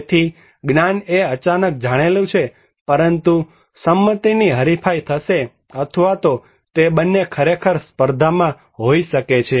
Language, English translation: Gujarati, So, knowledge is known sudden but what to do consent is contested or it could be that also both are actually contested